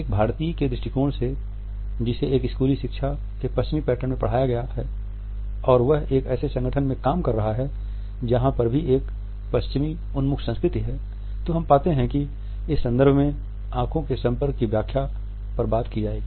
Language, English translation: Hindi, From the perspective of in Indian who has been taught in a western pattern of a schooling and is also working in an organization, where a Western oriented culture is dominant we find that the interpretations of eye contact would be talked about in this context